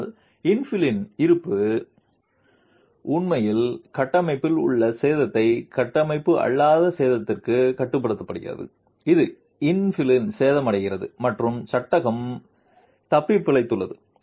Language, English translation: Tamil, But the presence of the infill actually limits the damage in the structure to non structural damage which is damage in the infills and the frame has survived